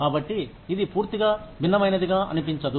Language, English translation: Telugu, So, it does not seem like, something totally different